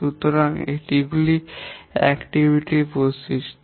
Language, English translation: Bengali, So these are the characteristics of the activity